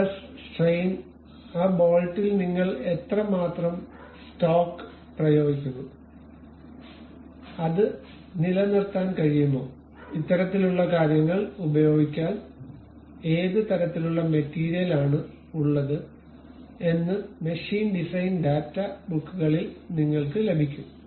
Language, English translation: Malayalam, Like you calculate stresses, strains, how much stock you really apply on that bolt, whether it can really sustain, what kind of materials one has to use these kind of things you will get it in machine design data books